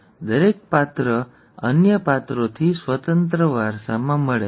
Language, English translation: Gujarati, Each character is inherited independent of the other characters